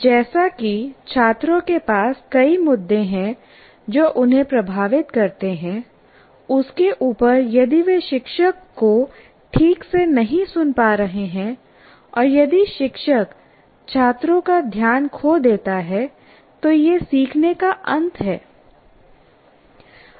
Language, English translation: Hindi, And when students find it as it is they have other issues, influencing them on top of that, if you are not able to hear this teacher properly and then you, the teacher loses the attention of the student and that is the end of learning